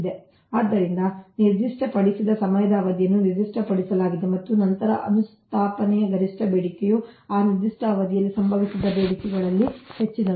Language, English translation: Kannada, so, specified period of time, specified time is appeared, is specified, and then maximum demand of an installation is that greatest of the demands which have occurred during that specified period of time